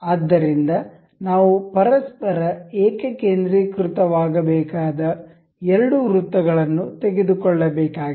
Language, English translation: Kannada, So, the two we need to pick up two circles that need to be concentric over each other